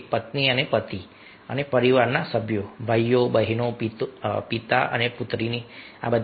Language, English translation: Gujarati, like wife and a husband and family members, brothers, sisters, ah, father and son